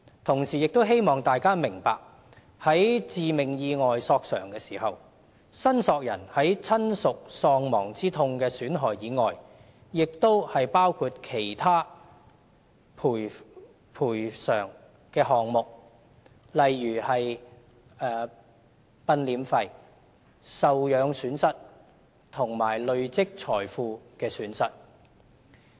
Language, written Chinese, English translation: Cantonese, 同時，希望大家明白，在致命意外索償時，申索人在親屬喪亡之痛的損害外，亦包括其他賠償的項目，例如殯殮費、受養損失及累積財富的損失。, Meanwhile I wish Members can understand that in addition to bereavement damages dependants may claim compensation for pecuniary loss including funeral expenses loss of dependency and loss of accumulation of wealth under an action arising from fatal accidents